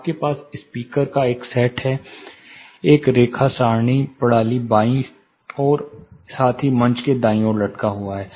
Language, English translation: Hindi, We had we had a set of speakers a line array system, hanging in the left as well as the right side of the stage